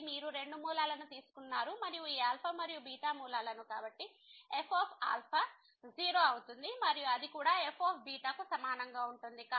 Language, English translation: Telugu, So, you have taken two roots and since this alpha and beta are the roots so, will be 0 and that will be also equal to